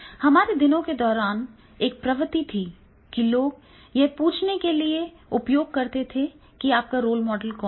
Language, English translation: Hindi, So therefore there was a trend during our days, that is the people were talking who is your role model